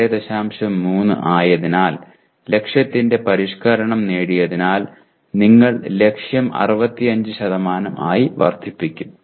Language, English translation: Malayalam, 3 the modification of the target where achieved so you increase the target to 65%